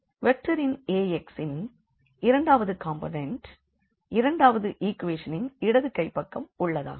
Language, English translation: Tamil, The second component of this vector A x will be the left hand side of the second equation and so on